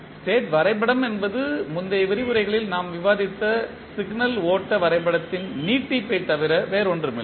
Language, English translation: Tamil, State diagram is nothing but the extension of the signal flow graph which we discussed in previous lectures